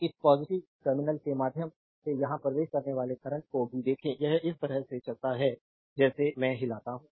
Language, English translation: Hindi, We see that current entering through that your positive terminal here also it goes like this I showed you